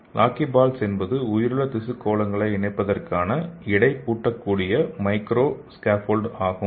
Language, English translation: Tamil, So this lockyballs are inter lockable micro scaffolds for encaging the living tissue spheroids